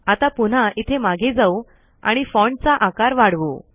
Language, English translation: Marathi, Now lets go back here and make the font slightly bigger